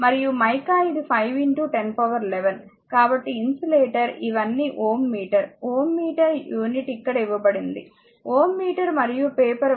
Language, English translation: Telugu, So, insulator these all ohm meter all ohm meter; ohm meter unit is given here, ohm meter and paper one into 10 to the power 10 this is insulator